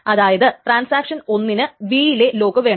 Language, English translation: Malayalam, Suppose transaction one wants a lock on item A and item B